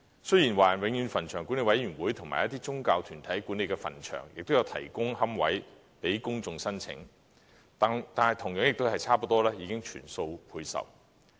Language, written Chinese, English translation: Cantonese, 雖然華人永遠墳場管理委員會及一些宗教團體管理的墳場也有提供龕位予公眾申請，但同樣亦是差不多已全數配售。, Although cemeteries managed by the Board of Management of the Chinese Permanent Cemeteries BMCPC and certain religious organizations also provide niches for application by the public these niches have likewise almost all been allocated